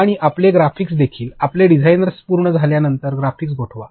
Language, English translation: Marathi, And also your graphics, freeze the graphics after your designer is done